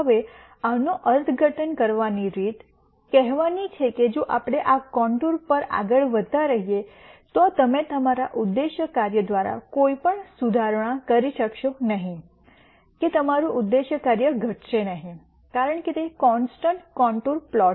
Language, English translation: Gujarati, Now, the way to interpret this is to say if we were to keep moving on this contour you would make no improvement through your objective function that is your objective function will not decrease because it is a constant contour plot